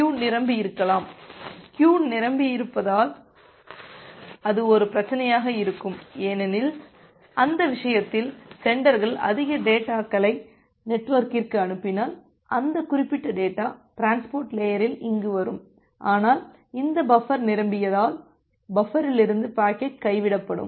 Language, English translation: Tamil, If the queue becomes full, that will be a problem because in that case, if the senders sends more data to the network, then that particular data will come here at the transport layer, but because this buffer has become full, you will experience a packet drop from this particular buffer